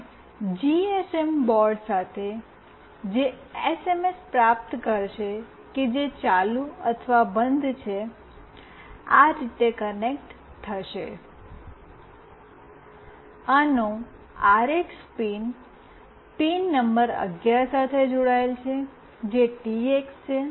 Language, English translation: Gujarati, And with the GSM board, which will receive the SMS that is either ON or OFF, will be connected like this; RX pin of this is connected to pin number 11, which is the TX